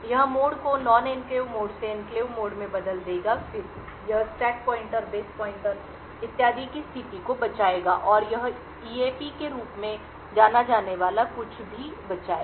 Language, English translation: Hindi, It would change the mode from the non enclave mode to the enclave mode then it would save the state of the stack pointer, base pointer and so on and it will also save something known as the AEP